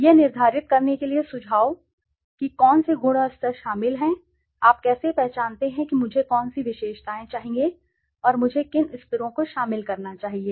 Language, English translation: Hindi, Suggestions for determining which attributes and levels to include, how do you identify which attributes should I and which levels should I include